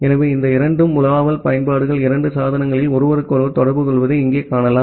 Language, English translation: Tamil, So, here you can see that these two browsing applications at the two devices they are communicating with each other